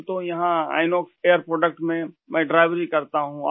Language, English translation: Urdu, I am here at Inox Air Products as a driver